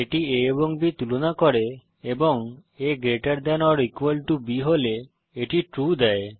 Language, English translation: Bengali, It compares a and b and returns true if a is greater than or equal to b